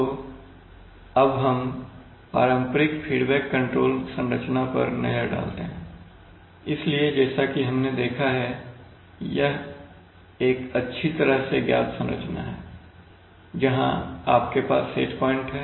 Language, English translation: Hindi, So let us look at the conventional feedback control structure that we have studied all the time, now here we have this this is the set point, I am sorry